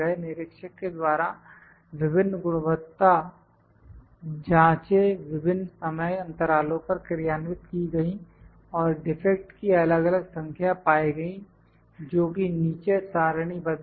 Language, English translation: Hindi, Various quality checkups were performed by an inspector different time periods and different number of defect were found which are tabulated below which as tabulated here